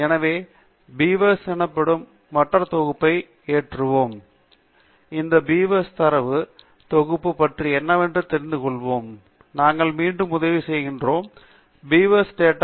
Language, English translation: Tamil, So, letÕs load another package called Beavers, and to know what these Beavers data set is about, we will go back to the help, and pick the BeaverÕs package